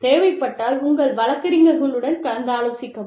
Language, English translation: Tamil, Consult with your lawyers, if necessary